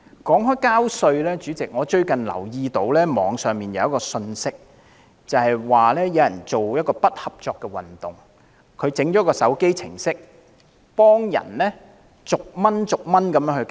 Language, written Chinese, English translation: Cantonese, 說到繳稅，主席，我最近留意到網上有一則信息，有人為進行不合作運動而製作了一個手機程式，讓人作1元繳稅行動。, When it comes to the payment of tax Chairman it has recently come to my attention that according to a message published through Internet platforms someone has developed a smartphone application for staging a non - cooperation campaign and users may use the application for paying tax dollar by dollar